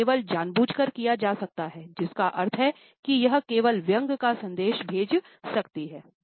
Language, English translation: Hindi, It can only be done deliberately which means it can send only one message, sarcasm